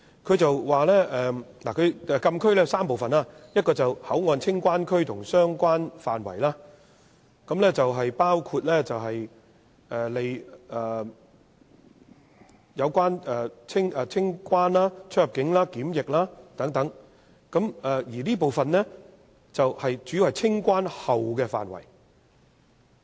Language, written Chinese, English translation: Cantonese, 它說禁區有3部分，一個是口岸清關區和相關範圍，用作辦理清關、出入境和檢疫手續，而這部分主要是清關後的範圍。, According to the document the closed area covers three parts . The first part covers the clearance and related areas for the customs immigration and quarantine CIQ clearance